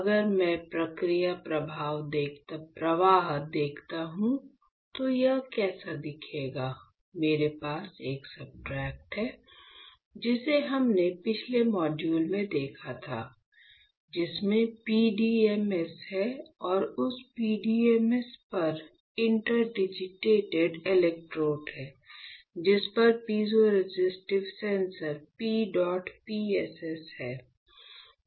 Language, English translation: Hindi, So, if I see the process flow, how it will look like; I have a substrate which we have seen in the last module, which has PDMS and on that PDMS interdigitated electrodes, on which there are piezoresistive sensors PEDOT PSS